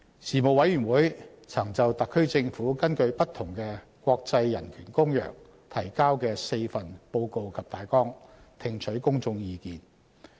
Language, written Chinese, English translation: Cantonese, 事務委員會曾就特區政府根據不同的國際人權公約提交的4份報告及大綱，聽取公眾意見。, The Panel received public views on four reports and outlines on different international human rights treaties submitted by the HKSAR Government